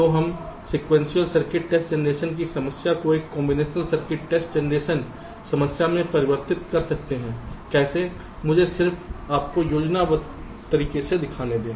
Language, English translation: Hindi, so we are converting the sequential circuit test generation problem to a combinational circuit test generation problem how